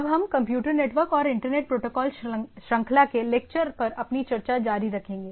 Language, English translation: Hindi, So, we’ll be continuing our discussion on Computer Network and Internet Protocols series of lectures